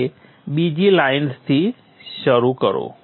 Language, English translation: Gujarati, So start from the second line